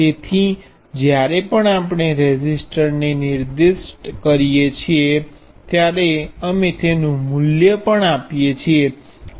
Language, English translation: Gujarati, So, whenever we specify the resistor, we also give its value R